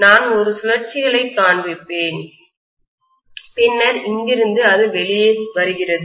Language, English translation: Tamil, I will just show a few turns and then from here it is coming out